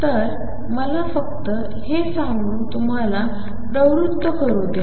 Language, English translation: Marathi, So, let me just motivate you by saying